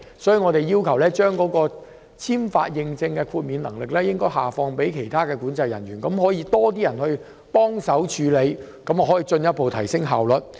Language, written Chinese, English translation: Cantonese, 所以，我們要求將簽發豁免認證文件的權力下放予其他管制人員，讓更多人協助處理，進一步提升效率。, Therefore we request that the power of signing certificates of exemption be delegated to other controlling officers so that more people can help address the relevant matters so as to further improve efficiency